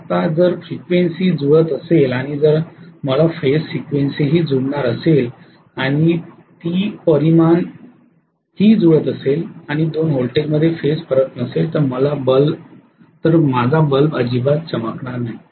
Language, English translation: Marathi, Now if the frequencies are exactly matching and if I am going to have the phase sequence also matching and if the magnitudes are also matching and if there are no phase difference between the two voltages, I will have the bulbs not glowing at all, I hope you understand